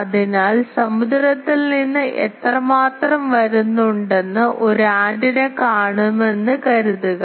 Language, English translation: Malayalam, So, those antennas suppose an antenna will see how much is coming from the ocean